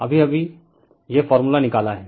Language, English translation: Hindi, Just now, we have derived this formula